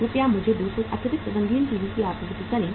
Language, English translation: Hindi, Please supply me 200 additional colour TVs